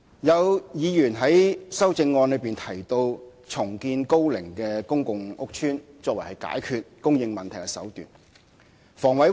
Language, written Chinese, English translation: Cantonese, 有議員在修正案中提到重建樓齡高的公共屋邨，作為解決供應問題的手段。, Some Member has proposed in his amendment the redevelopment of old PRH estates as a means to solve the housing supply problem